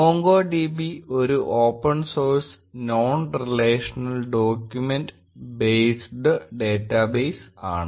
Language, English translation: Malayalam, MongoDB is an open source non relational document based data base